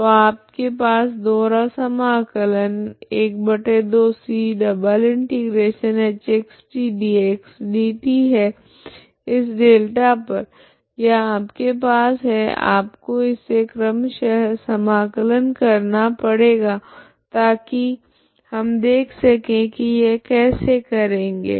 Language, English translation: Hindi, So you have 12c∬h ( x ,t ) dx dt double integral over this delta this double integral or delta you can have you have to write as a iterative integral so that we will see how to do this